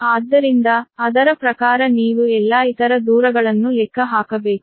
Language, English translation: Kannada, so accordingly you have to calculate all other distances